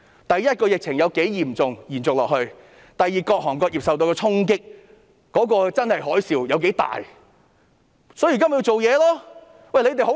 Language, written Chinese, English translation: Cantonese, 第一，是疫情有多嚴重，會否延續下去；第二，是各行各業受到的衝擊，那個真正的海嘯有多大，所以現在就要做事。, First it is about the severity of the epidemic and whether it will go on . Second it is about the blow suffered by various trades and industries and the sweep of the tsunami which call for immediate follow - up actions